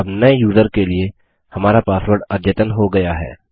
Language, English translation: Hindi, Now our password for the new user is updated